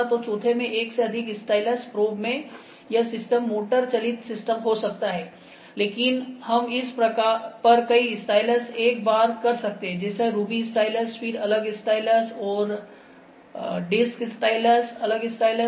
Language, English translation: Hindi, So, in the fourth one multiple styluses probe, this system can be motorized system can be inductive, but we have multiple styluses once on this like ruby stylus, then different stylus, and disc stylus different styluses are there